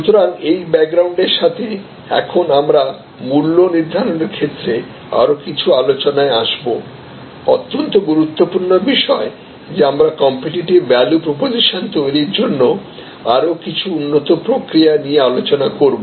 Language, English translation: Bengali, So, with this background, now we will get into some of the other more the remaining discussions on pricing, very important point that we still have an discussed as well as some other more advanced processes for creating the competitive value proposition